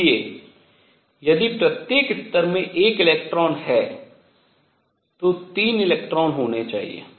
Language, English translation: Hindi, So, if each level has one electron there should be 3 electrons